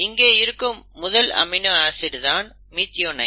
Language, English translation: Tamil, The first amino acid is methionine